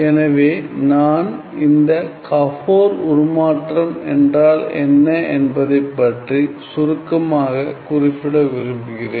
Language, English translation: Tamil, So, just briefly I just want to mention, so what is this Gabor transform